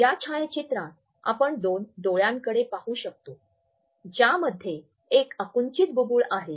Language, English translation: Marathi, In this photograph we can look at two eyes in one there is a constricted pupil